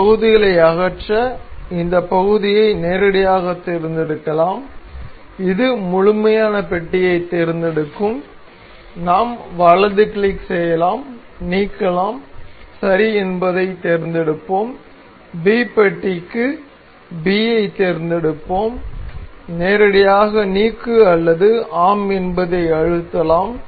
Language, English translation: Tamil, To remove these parts we can directly select the part this A that will select the complete block and we can right click, delete and we will select ok and for block B we will select B and we can directly press delete or yes